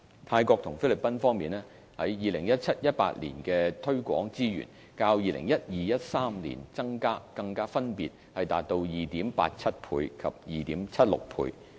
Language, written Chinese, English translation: Cantonese, 泰國及菲律賓方面 ，2017-2018 年度的推廣資源，較 2012-2013 年度增加更分別達 2.87 倍及 2.76 倍。, As regards Thailand and the Philippines markets the 2017 - 2018 marketing budget for them also increased by 287 % and 276 % respectively over that in 2012 - 2013